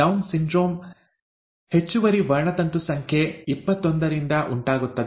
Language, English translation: Kannada, Down syndrome is caused by an extra chromosome number twenty one